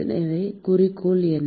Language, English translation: Tamil, So, what is the objective